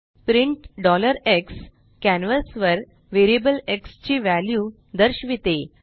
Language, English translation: Marathi, print $x displays the value of variable x on the canvas